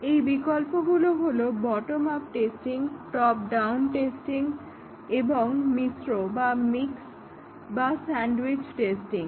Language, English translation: Bengali, Alternatives are the bottom up testing, top down testing and a mixed or sandwich testing